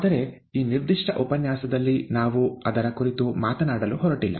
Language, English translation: Kannada, But that is not what we are going to talk about in this particular lecture